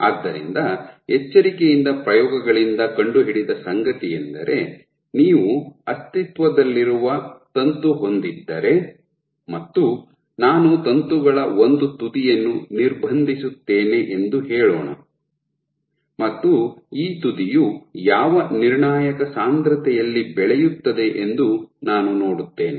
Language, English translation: Kannada, So, what has been found by careful experiments, if you have an existing filament and let us say I block off, I block off one end of the filament and I see at what critical concentration this end can grow, can grow